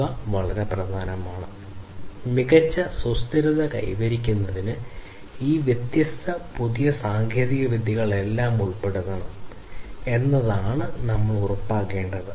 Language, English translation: Malayalam, So, these are very important and so, what we need to ensure is that all these different newer technologies should be included in order to have better sustainability